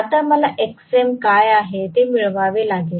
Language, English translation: Marathi, Now, I have to get what is xm